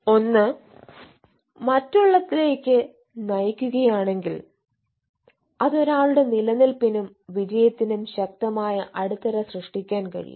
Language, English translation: Malayalam, if 1 is leading to others, that can create a strong base for ones survival and success